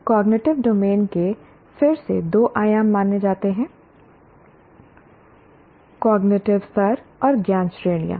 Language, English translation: Hindi, The cognitive domain is considered to have again two dimensions, cognitive levels and knowledge categories